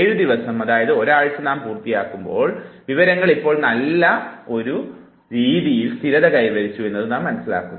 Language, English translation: Malayalam, And by that time we complete 7 days, 1 week period, we realize that the information is by and large stable now